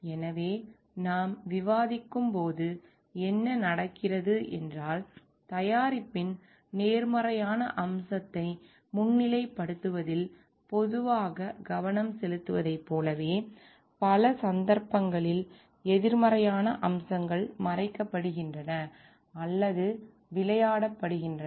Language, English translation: Tamil, So, what we happen as we are discussing is, very like we are generally focused towards highlighting on the positive aspect of the product, and in many cases the negative aspects are either hidden or played down